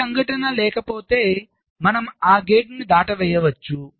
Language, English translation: Telugu, if there is no event, we can simply skip that gate